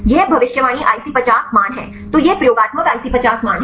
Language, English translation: Hindi, This is the predicted IC50 values; so this is experimental IC50 values